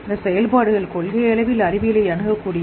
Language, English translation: Tamil, These functions are in principle accessible to science